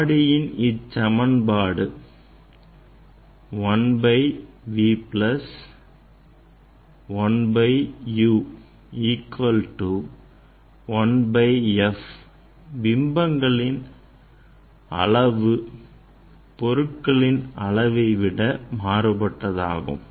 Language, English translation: Tamil, This relation in case of mirror; 1 by v plus 1 by u equal to 1 by f right and image size are different than the object size